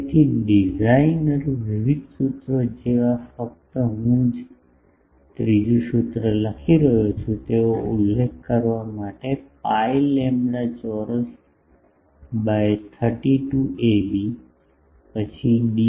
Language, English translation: Gujarati, So, people use various designer like various formula just to mention I am writing the third formula is pi lambda square by 32 a b, then D E into D H